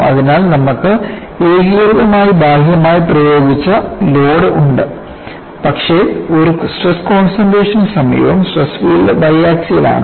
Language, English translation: Malayalam, So, you have a uniaxial externally applied load, but in the vicinity of a stress concentration, the stress field is y axial